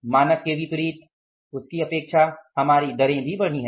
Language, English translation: Hindi, Our rates have also increased as against the standard